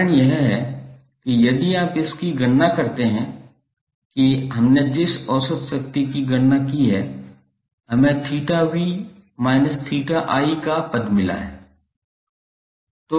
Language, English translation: Hindi, The reason is that if you compare it with the average power we calculated we got the term of theta v minus theta i